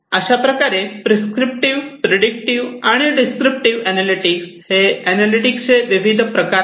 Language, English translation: Marathi, Predictive, prescriptive, and descriptive analytics are different forms of analytics